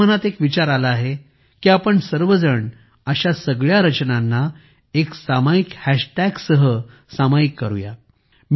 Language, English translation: Marathi, One thing comes to my mind… could we all share all such creations with a common hash tag